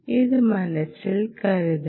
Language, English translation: Malayalam, so keep that in your mind